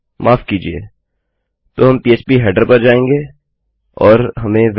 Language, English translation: Hindi, Sorry, so we will go to php header and we have got Welcome